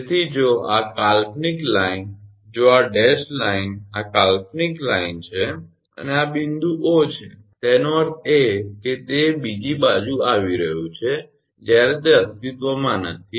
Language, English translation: Gujarati, So, if this imaginary line if this dashed line is imaginary line and this is the point O; that means, it is coming to the other side, while it is not existing